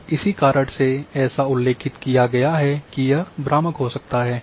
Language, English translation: Hindi, That is why it is mentioned that it may be misleading